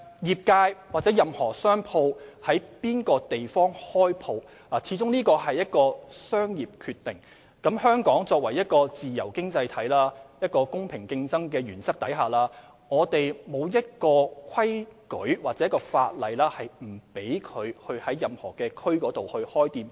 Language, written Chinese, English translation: Cantonese, 業界在任何地方開設店鋪始終是商業決定，香港是自由經濟體，在公平競爭的原則下，並無法例不准經營者在任何地區開設店鋪。, Where should shops be set up is after all a commercial decision . Hong Kong is a free economy and under the principle of fair competition there is no law that prohibits a business operator from setting up a shop at any place